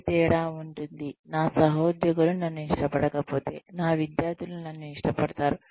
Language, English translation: Telugu, What difference, does it make, if my colleagues, do not like me, as long as, my students are fond of me